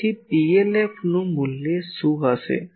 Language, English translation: Gujarati, So, what will be the value of PLF